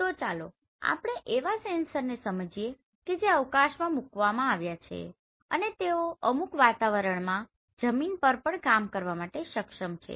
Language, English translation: Gujarati, So let us understand the sensors which are launched in the space they are also capable of working on the ground right so in certain environment